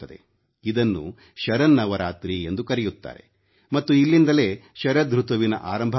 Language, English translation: Kannada, This is also known as Sharadiya Navratri, the beginning of autumn